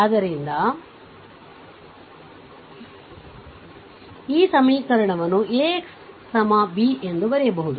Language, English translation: Kannada, So, this equation it can be written as AX is equal to B